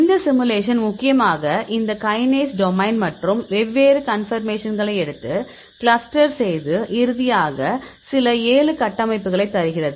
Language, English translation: Tamil, This simulation mainly these kinase domain and take the different conformations and cluster the conformations and finally, we get some 7 structures